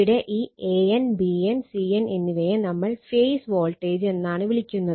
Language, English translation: Malayalam, So, V a n, V b n, V c n are called phase voltages right